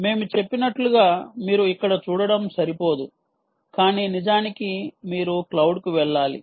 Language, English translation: Telugu, as we mentioned, it is insufficient for you to see it here, but indeed you need to go to the cloud